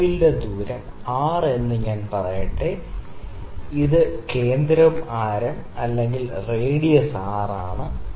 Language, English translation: Malayalam, And the radius of the voile is let me say R, this is centre the radius is R